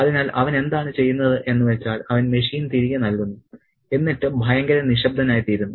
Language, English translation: Malayalam, So, what he does is he returns the machine and becomes terribly silent